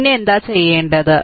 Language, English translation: Malayalam, Then what we will do